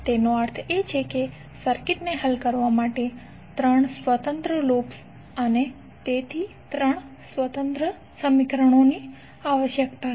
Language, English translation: Gujarati, That means that 3 independent loops and therefore 3 independent equations are required to solve the circuit